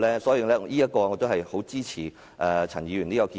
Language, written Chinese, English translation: Cantonese, 所以，我十分支持陳議員這項建議。, I thus strongly support Ms CHANs proposal